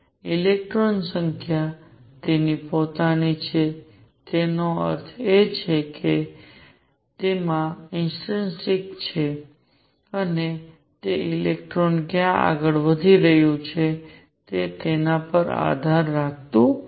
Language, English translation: Gujarati, Electron has a quantum number of it is own; that means, it is intrinsic to it is intrinsic to it and it does not depend on where the electron is moving